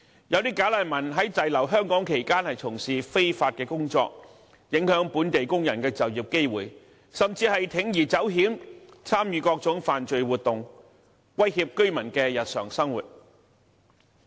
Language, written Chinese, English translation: Cantonese, 部分"假難民"在滯留香港期間從事非法工作，影響本地工人的就業機會，甚至鋌而走險，參與各種犯罪活動，威脅居民的日常生活。, Some bogus refugees will take up illegal employment when staying in Hong Kong which will in turn affect job opportunities for local workers and some even resort to break the law and take part in various illegal activities threatening the daily life of local residents